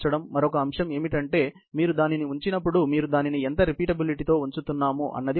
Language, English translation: Telugu, Another aspect is when you are positioning it, how repeatable you are positioning it, is the question